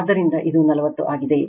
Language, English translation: Kannada, So, this is 40 right